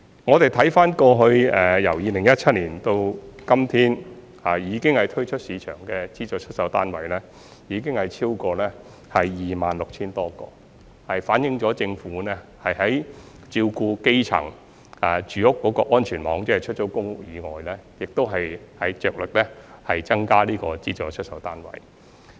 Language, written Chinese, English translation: Cantonese, 我們回看2017年到今天，推出市場的資助出售單位已經超過 26,000 多個，反映政府照顧基層住屋的安全網，即除了出租公屋以外，也着力增加資助出售單位。, Since 2017 the number of SSFs offered by the Government for sale has reached over 26 000 units reflecting that apart from public rental housing the Government has made an all - out effort to increase the number of SSFs as part of the safety net to take care of the housing needs of low - income families